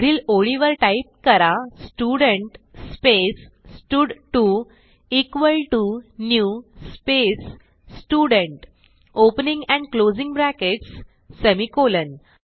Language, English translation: Marathi, So type next lineStudent space stud2 equal to new space Student , opening and closing brackets semicolon